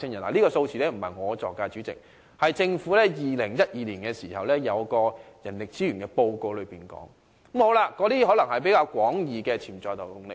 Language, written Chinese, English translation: Cantonese, 主席，這數字並非我捏造的，而是政府在2012年發表的人力資源報告中提到的，它可能是指比較廣義的潛在勞動力。, President the figure is not my fabrication and actually it comes from a manpower resources report published by the Government in 2012 . It may refer to the potential labour force in broader sense